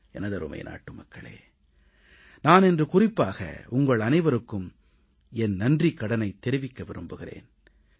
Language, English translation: Tamil, My dear countrymen, I want to specially express my indebtedness to you